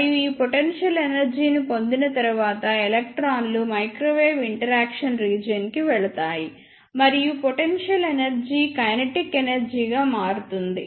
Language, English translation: Telugu, And after getting this potential energy, the electrons will move to the microwave interaction region, and of the potential energy is converted to the kinetic energy